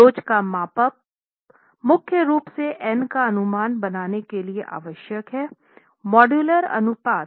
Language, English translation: Hindi, Model is of elasticity is required primarily to make the estimation of N, the modular ratio